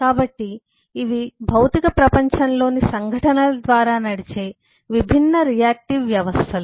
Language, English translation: Telugu, so these are, these are different reactive systems that are driven by the events in the physical world